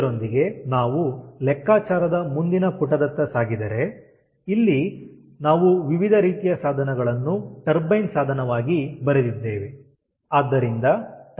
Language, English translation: Kannada, if we proceeded towards the next page of calculation, ah, then we have written different kind of devices here: device a turbine, ah